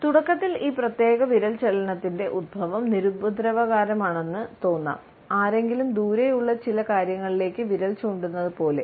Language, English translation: Malayalam, Initially, we find that the origin of this particular finger movement is innocuous, as if somebody is pointing at certain things in a distance